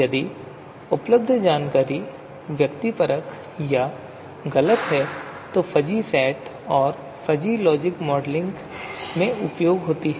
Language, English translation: Hindi, Information available is subjective or subjective and imprecise then fuzzy sets and fuzzy logic are useful in modeling